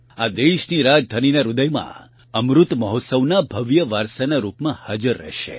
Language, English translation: Gujarati, It will remain as a grand legacy of the Amrit Mahotsav in the heart of the country's capital